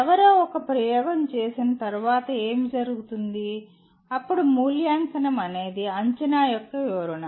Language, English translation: Telugu, And what happens once somebody perform something like performs an experiment then evaluation is interpretation of assessment